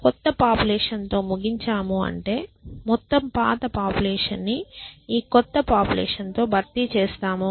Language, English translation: Telugu, So, we ended up with the new population which means we replace the entire whole population with this new population